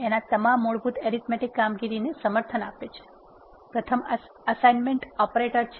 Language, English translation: Gujarati, R supports all the basic arithmetic operation, the first one is assignment operator